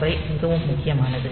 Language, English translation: Tamil, 5 is very important